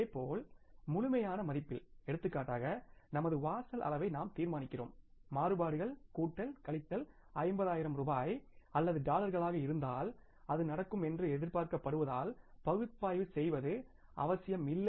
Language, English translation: Tamil, Similarly in the absolute terms for example we decide over threshold level that if the variances are plus minus by 50,000 rupees or dollars then there is no need to analyze because it is expected to happen